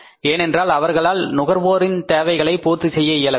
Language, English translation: Tamil, Because they were not able to serve the customers needs